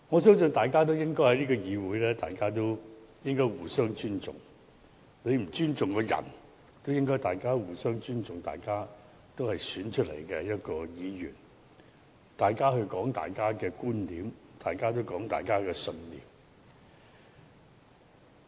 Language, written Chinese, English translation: Cantonese, 在這個議會，我相信大家應互相尊重，即使你不尊重某人，亦應尊重大家是經選舉產生的議員，並尊重各人道出各自的觀點和信念。, I believe Members should show mutual respect for one another in this Council . Even if you do not respect a particular Member you should respect the fact that we are all Members returned by elections and respect the viewpoints and beliefs presented by different Members